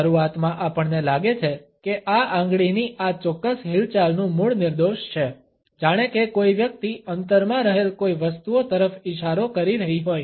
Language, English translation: Gujarati, Initially, we find that the origin of this particular finger movement is innocuous, as if somebody is pointing at certain things in a distance